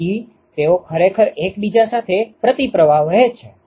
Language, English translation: Gujarati, So, they are actually flowing counter current to each other